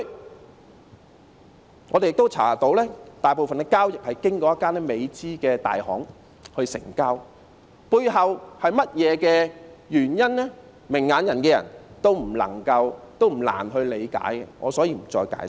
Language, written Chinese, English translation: Cantonese, 根據我們的調查，大部分的交易是經過一間美資的大行成交，背後是甚麼原因，明眼人不難理解，所以我不再解釋。, Our investigation shows that most of the transactions were made through a major American firm . What is the reason behind it? . To people with discerning eyes it is not at all difficult to understand why and so I will not further explain it